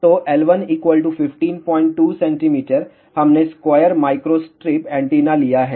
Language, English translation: Hindi, 2 centimeter we have taken square microstrip antenna